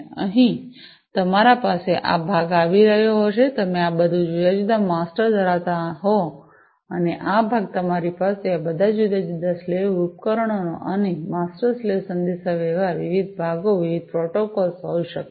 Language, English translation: Gujarati, So, here you would be having this part you could be having all these different master and this part you could be having all these different slave devices and master slave communication, different parts, different protocols